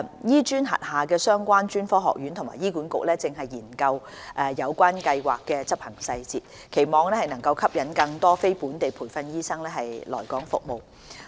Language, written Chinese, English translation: Cantonese, 醫專轄下的相關專科學院及醫管局現正研究有關計劃的執行細節，期望能吸引更多非本地培訓醫生來港服務。, Relevant colleges under HKAM and HA are studying the implementation details with a view to attracting more non - locally trained doctors to serve in Hong Kong